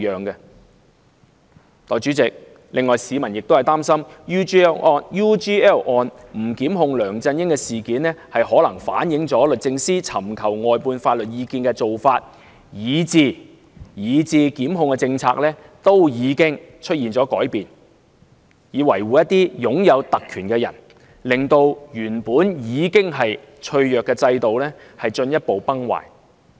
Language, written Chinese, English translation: Cantonese, 代理主席，市民亦擔心，不檢控梁振英的決定可能反映律政司在尋求外判法律意見方面，以至檢控政策均已出現改變，以維護一些擁有特權的人物，令原本已經脆弱的制度，進一步崩壞。, Deputy President people are also worried that the decision not to prosecute LEUNG Chun - ying may indicate changes in DoJs solicitation of legal advice from outside and in prosecution policy for the sake of protecting the privileged resulting in a further collapse of the already fragile regime